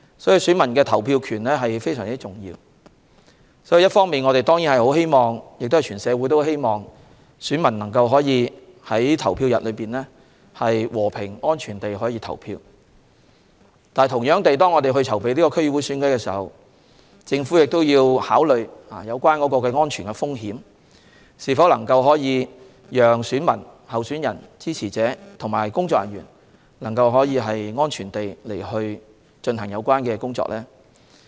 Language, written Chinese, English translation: Cantonese, 選民的投票權非常重要，我們和社會人士當然希望選民能夠在投票日和平、安全地投票，但在我們籌備區議會選舉時，也要考慮安全風險，以及是否能夠讓選民、候選人、支持者和工作人員安全地進行有關工作。, Electors right to vote is very important . The Government and the community certainly hope that electors will be able to vote in a peaceful and safe manner on the polling day . However when we make preparations for the DC Election we must also consider the security risks and whether electors candidates supporters and staff can safely play their respective roles